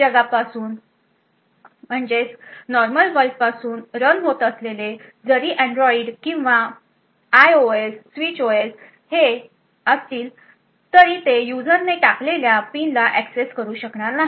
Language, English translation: Marathi, Even the Android or IOS switch OS running from your normal world would not be able to have access to the PIN which is entered by the user